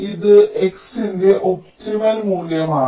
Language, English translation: Malayalam, this is the optimum value of x